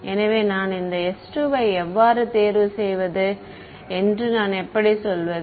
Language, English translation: Tamil, So, how do I how do I mean how would should I choose this s 2